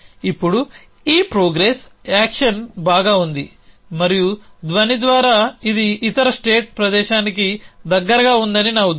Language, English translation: Telugu, Now, this progress action is sound and by sound I mean it is close over the other state place